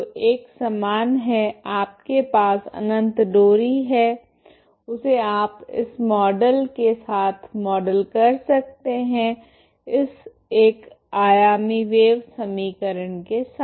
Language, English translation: Hindi, So uniform is you have infinite string you can model with this model that infinite string with this wave equation that is the one dimensional wave equation